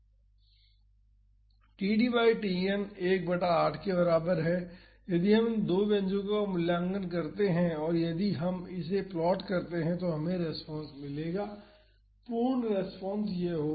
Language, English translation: Hindi, For td by Tn is equal to 1 by 8, if we evaluate these two expressions and if we plot this we would get the response, the complete response would be this